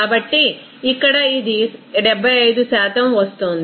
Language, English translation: Telugu, So, here it is coming 75%